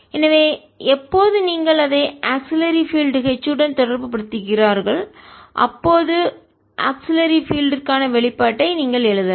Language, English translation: Tamil, so when you relate it with the auxiliary field h, you can write down the expression for the auxiliary field